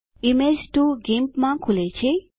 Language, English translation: Gujarati, Image 2 opens in GIMP